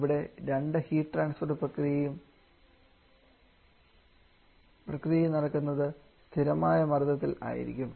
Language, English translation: Malayalam, Here, both the heat transfer as taking place at constant pressure